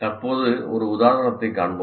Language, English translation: Tamil, We'll presently see an example